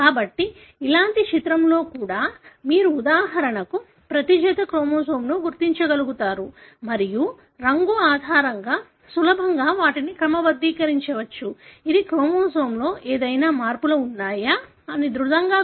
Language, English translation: Telugu, So, even in an image like this, you are able to identify for example, each pair of the chromosome and easily you can sort them based on the colour which really helps us to robustly identify if there any changes in the chromosome, which will be talking